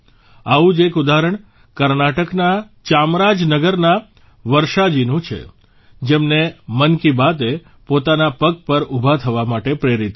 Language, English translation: Gujarati, One such example is that of Varshaji of Chamarajanagar, Karnataka, who was inspired by 'Mann Ki Baat' to stand on her own feet